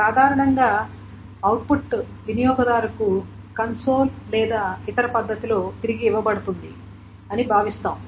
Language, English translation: Telugu, Generally output is just assumed to be given back to the user in the console or some other manner